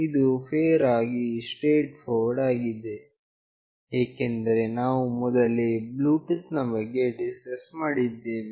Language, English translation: Kannada, This is fairly straightforward, because we have already discussed about Bluetooth